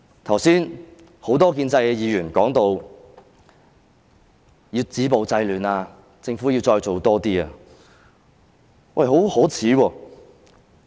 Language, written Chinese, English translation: Cantonese, 剛才，很多建制派議員談到要止暴制亂，說政府須再多做一點。, Just now many Members of the pro - establishment camp talked about the need to stop violence and curb disorder saying that the Government needs to do more